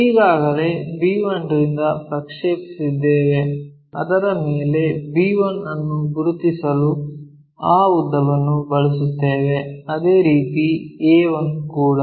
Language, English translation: Kannada, So, already we have projected from b 1, on that we use that length to identify b 1 similarly a 1